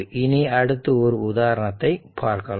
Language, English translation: Tamil, So, we will take some example